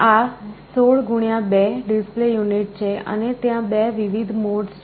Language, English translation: Gujarati, It is a 16 x 2 display unit, and there are 2 different modes